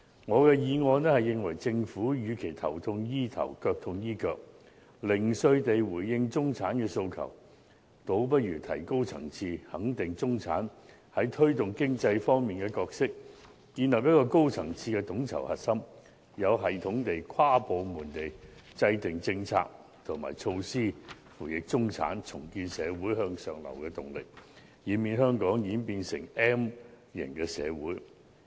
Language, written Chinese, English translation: Cantonese, 我的議案認為，政府與其頭痛醫頭、腳痛醫腳，零碎地回應中產的訴求，倒不如提高層次，肯定中產在推動經濟方面的角色，建立一個高層次的統籌核心，有系統地、跨部門地制訂政策和措施輔翼中產，重建社會向上流的動力，以免香港演變成 M 型社會。, In my motion I propose that instead of taking a piece - meal approach to the individual aspirations of the middle class the Government should take a higher - level approach . It should affirm the role of the middle class in driving the economy forward and establish a high - level coordination core to systematically and interdepartmentally map out policies and measures to assist the middle class with a view to re - establishing a society with upward mobility and preventing Hong Kong from turning into an M - shaped society